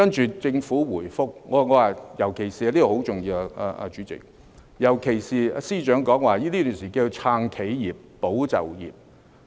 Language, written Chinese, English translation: Cantonese, 接着政府回覆——主席，這一點尤其重要——尤其是司長說，這段時間要"撐企業、保就業"。, Subsequently the Government replied―Chairman this point is particularly important―and notably the Financial Secretary said that it was necessary to support enterprises and safeguard jobs in the meantime